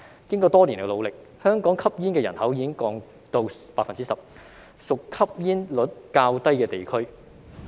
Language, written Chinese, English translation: Cantonese, 經過多年努力，香港吸煙人口已經下降到 10%， 屬吸煙率較低地區。, After years of efforts the smoking population in Hong Kong has dropped to 10 % which is considered to be a place with relatively low smoking rate